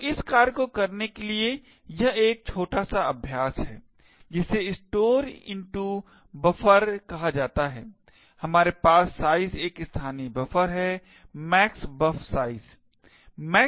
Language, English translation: Hindi, So, this is a small exercise for you to do so in this function called store into buffer we have a local buffer of size max buf size